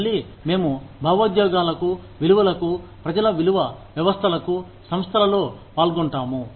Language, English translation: Telugu, Again, we appeal to the emotions, to the values, value systems of the people, involved in the organizations